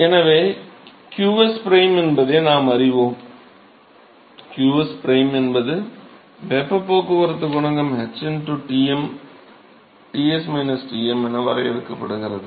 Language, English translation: Tamil, So, now, we know qsprime, qsprime is defined as, is defined as the heat transport coefficient h into to Tm Ts minus Tm right